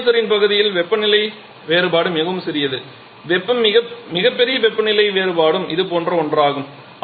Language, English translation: Tamil, In the economizer part the temperature difference is quite small the largest temperature difference can be only something like this